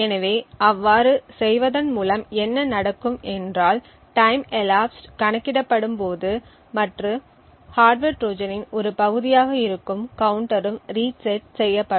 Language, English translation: Tamil, So, by doing so what would happen is that the counter which is counting the time elapsed and is part of the hardware Trojan would also get reset